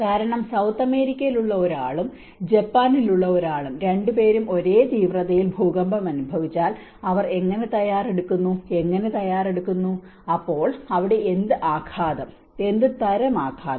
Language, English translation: Malayalam, Because someone who is in South America and someone who is in Japan, if both of them are hit by the similar magnitude of earthquake, how they are prepared, how they are prepared, so what kind of impact here, what kind of impact here